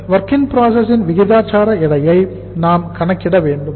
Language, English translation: Tamil, So we should calculate the proportionate weight of the WIP